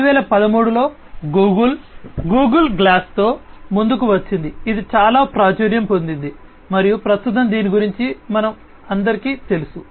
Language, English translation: Telugu, And, in 2013 Google came up with the Google glass, which is very popular and everybody knows about it at present